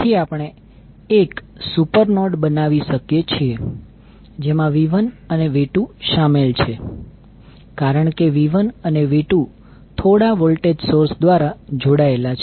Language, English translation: Gujarati, So what we can do, we can create 1 super node, which includes V 1 and V 2, because these V 1 and V 2 are connected through some voltage source